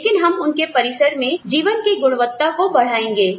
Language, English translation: Hindi, But, we will enhance the quality of life, that they have on campus